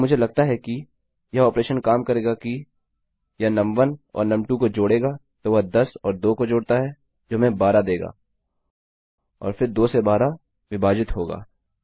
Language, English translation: Hindi, So, what I think this operation will do is, it will add num1 and num2, so that is 10 and 2 which will give us 12 and then 12 divided by 2